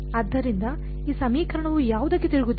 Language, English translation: Kannada, So, what does this equation turn into